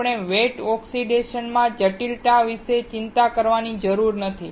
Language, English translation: Gujarati, We do not have to worry about complexity in wet oxidation